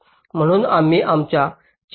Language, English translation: Marathi, so we start our discussions